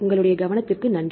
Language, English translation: Tamil, Thanks for your attention